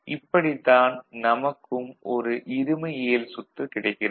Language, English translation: Tamil, So, this is the way you can get a dual circuit